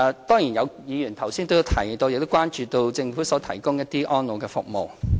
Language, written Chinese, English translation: Cantonese, 當然，有議員剛才提到亦關注到政府提供的安老服務。, Of course Members have talked about their concerns over the Governments elderly care services